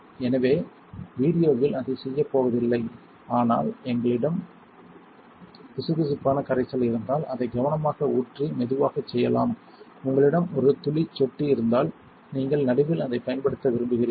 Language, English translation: Tamil, So, I am not going to do that in the video, but if you have a viscous solution you can just pour it in carefully and do it slowly, if you have a dropper you can just drop it in you want to apply it in the middle and you only need a little bit you do not need to use much